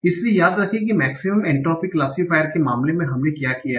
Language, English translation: Hindi, So, remember that's what we did in the case of maximum entropy classifier